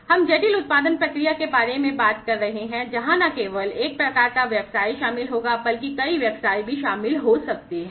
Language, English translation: Hindi, We are talking about the complex production process, where not just one kind of business will be involved, but multiple businesses might be involved as well